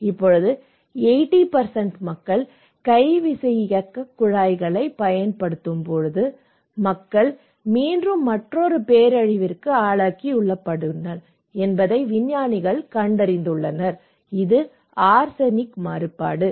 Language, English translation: Tamil, Now, when the 80% people using this one then the scientists realised that the people now again exposed to another disaster, another risk that is arsenic contamination